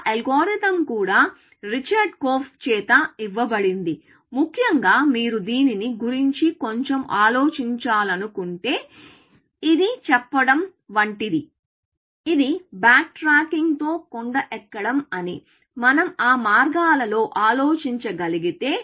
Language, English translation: Telugu, That algorithm was also given by Richard Korf, may be, if you want to think about that little bit, essentially, it is a little bit like saying, that it is hill climbing with back tracking, if we can think of it along those lines